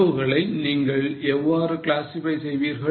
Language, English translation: Tamil, How do you classify the cost